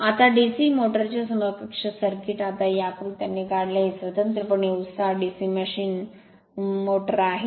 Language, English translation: Marathi, So, now equivalent circuit of DC motor, now this diagram have drawn this is a separately excited your DC machine right DC motor